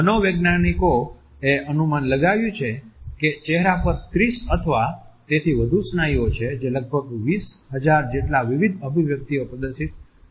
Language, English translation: Gujarati, Physiologists have estimated that there are 30 or so muscles in the face which are capable of displaying almost as many as 20,000 different expressions